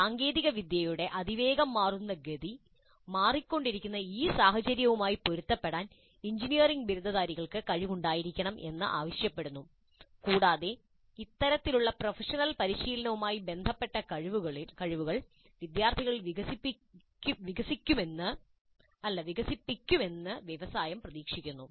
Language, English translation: Malayalam, The fast changing pace of technology today demands that the engineering graduates must be capable of adapting to this changing scenario and industry expects these kind of professional practice related competencies to be developed in the students